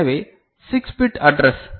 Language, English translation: Tamil, So, 6 bit address